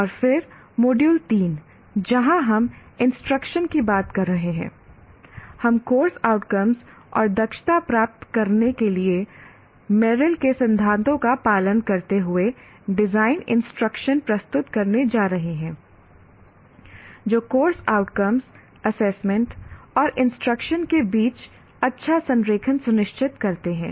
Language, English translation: Hindi, And then module three, where we are talking of instruction, we are going to present design instruction following Merrill's principles for attaining the course outcomes and competencies, ensuring good alignment among course outcomes, assessment and instruction